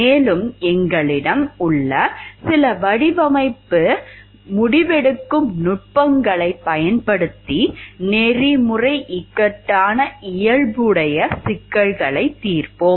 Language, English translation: Tamil, Also we will use some of the design decision making techniques that we have, to solve problems which are of ethical dilemma nature